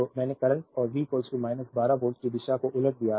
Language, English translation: Hindi, So, I have reverse the direction of the current and V is equal to minus 12 volts